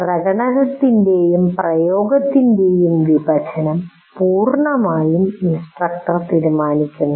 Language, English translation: Malayalam, And how you want to divide this division of demonstration and application is completely decided by the instructor